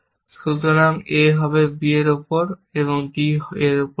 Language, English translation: Bengali, So, the goal is on a b, and on b d